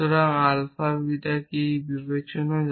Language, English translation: Bengali, So, it does not matter what alpha beta is